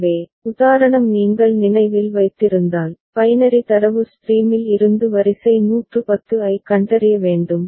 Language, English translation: Tamil, So, the example if you remember, we have to detect sequence 110 from a binary data stream